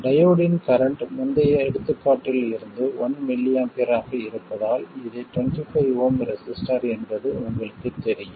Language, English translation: Tamil, So, because the diode's current is 1 milamper, from the previous example that I calculated, you know that this is a 25 oom resistor